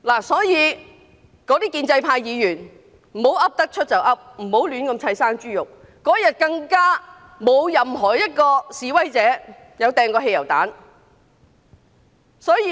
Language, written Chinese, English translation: Cantonese, 所以，建制派議員不要胡亂冤枉人，那天更沒有任何一名示威者投擲汽油彈。, Hence the pro - establishment Members should stop making false accusations . No protesters hurled petrol bombs that day